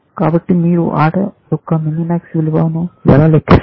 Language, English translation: Telugu, So, how would you compute the value, minimax value of the game